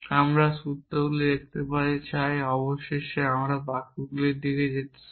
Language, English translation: Bengali, We want look at formulas eventually we want to move towards sentences